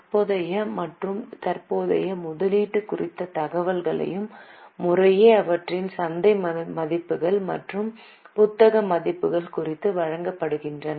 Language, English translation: Tamil, Then the information is given about current and non current investment, their market values and book values respectively